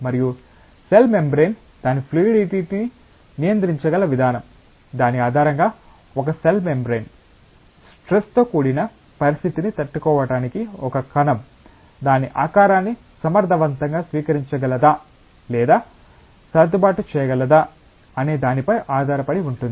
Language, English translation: Telugu, And the manner in which a cell membrane can control its fluidity based on that it depends on whether a cell membrane, whether a cell can adopt or adjust its shape effectively to withstand a stressful condition